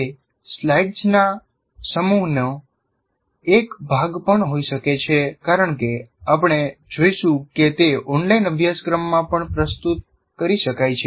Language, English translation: Gujarati, It can be also as a part of a set of slides as we will see that can be presented in an online course as well